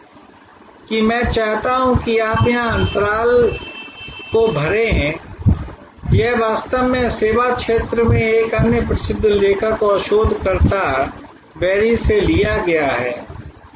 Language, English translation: Hindi, So, another set of assignment for you this is I want you to fill up the gaps here this is actually taken from another famous author and researcher in the service field, berry